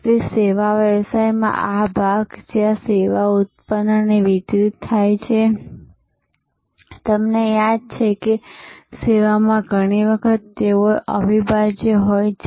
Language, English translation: Gujarati, So, in a service business this part, where the service is generated and delivered and you recall that in service, often they are inseparable